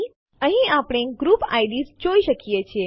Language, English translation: Gujarati, Here we can see the group ids